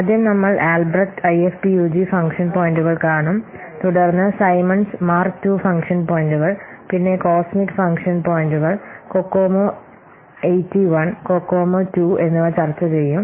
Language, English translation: Malayalam, So, first one will see that AlbreastFUG function points, then we'll discuss Simmons Mark 2 function points, then cosmic function points and then Kokomo 81 and Kokomo 82